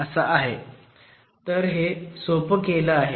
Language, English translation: Marathi, So, this is a simplification